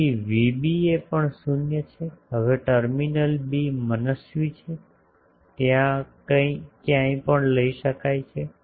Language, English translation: Gujarati, So, Vba is also 0, now terminal b is arbitrary it can be taken anywhere